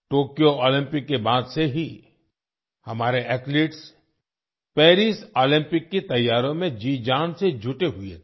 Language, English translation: Hindi, Right after the Tokyo Olympics, our athletes were whole heartedly engaged in the preparations for the Paris Olympics